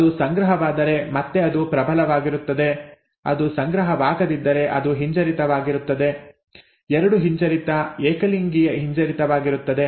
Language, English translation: Kannada, If it is deposited then again it is dominant, if it is not deposited it would be recessive, double recessive, homozygous recessive